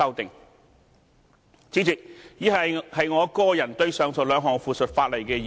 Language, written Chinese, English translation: Cantonese, 代理主席，以下是我個人對於上述兩項附屬法例的意見。, Deputy President next I shall present my personal opinions on the two items of subsidiary legislation